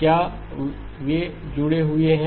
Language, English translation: Hindi, Are they linked